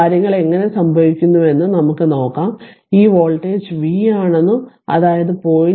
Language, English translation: Malayalam, Let us see how things happen and this voltage is ah this voltage is v; that means, across the 0